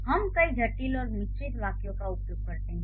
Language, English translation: Hindi, So, we do use multiple complex and compound sentences